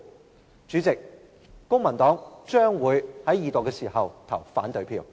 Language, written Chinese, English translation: Cantonese, 代理主席，公民黨將會在二讀時投反對票。, Deputy President the Civic Party will vote against the Second Reading of the Bill